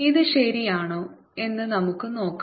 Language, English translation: Malayalam, let us see this is true